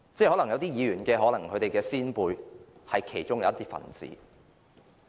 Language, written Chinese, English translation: Cantonese, 可能有些議員的先輩是其中一分子。, Perhaps the forefathers of some Members belonged to this group